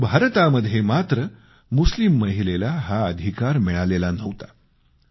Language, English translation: Marathi, But Muslim women in India did not have this right